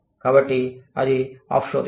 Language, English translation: Telugu, So, that is off shoring